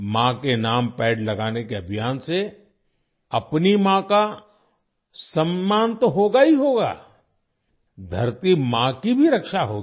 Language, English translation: Hindi, The campaign to plant trees in the name of mother will not only honor our mother, but will also protect Mother Earth